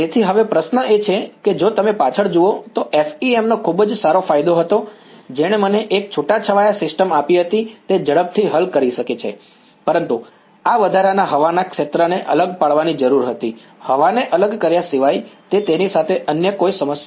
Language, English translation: Gujarati, So, now, question is if you look back FEM had a very good advantage that gave me a sparse system can quickly solve it ok, but this extra air region had to be discretized, apart from discretizing air it was the any other problem with it